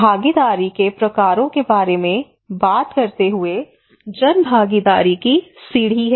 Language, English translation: Hindi, And talking about the types of participations a ladder of public participation